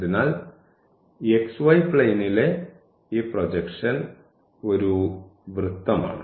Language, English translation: Malayalam, So, let us project into the xy plane